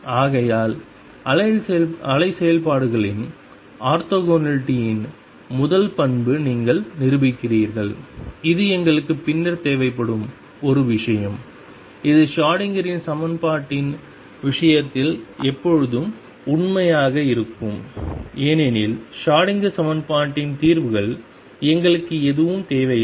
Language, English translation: Tamil, Therefore, you prove the first property of orthogonality of the wave functions, that is one thing we will require later and this is always going to be true in the case of Schrodinger’s equation because we require nothing just the solutions of the Schrodinger equation